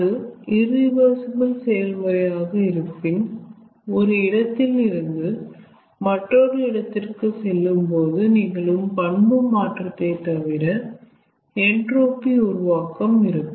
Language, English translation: Tamil, if it is an irreversible process, apart from the change of property which may take place from going from one point to another point, there could be some generation of entropy